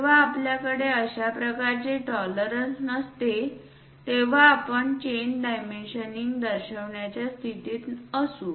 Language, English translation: Marathi, When we do not have such kind of tolerances then only, we will be in a position to show chain dimensioning